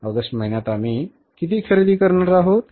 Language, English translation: Marathi, How much we are going to sell in the month of June